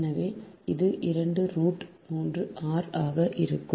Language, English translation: Tamil, so it is equal to two r, right